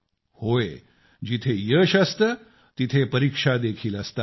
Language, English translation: Marathi, Where there are successes, there are also trials